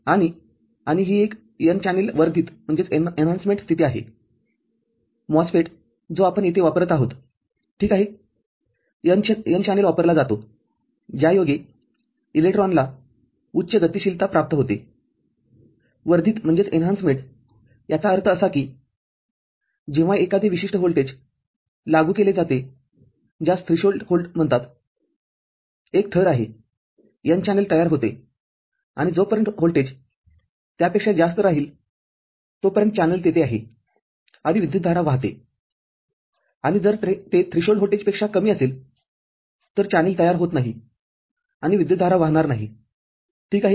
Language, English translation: Marathi, And, and this is an n channel enhancement mode, the MOSFET that we are using here – alright, n channel is used for the electron has got higher mobility; enhancement that means, when a particular voltage is applied that is called threshold volt, a layer is, n channel is formed and as long as the voltage remains more than that, the channel is there and the current flows and if it is less than the threshold voltage, the channel is not formed and the current will not flow ok